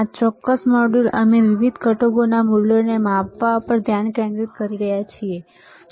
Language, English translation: Gujarati, this particular module we are focusing on measuring the values of different components, right